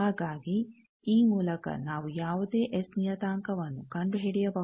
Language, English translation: Kannada, So, by this we can do find out the any S parameter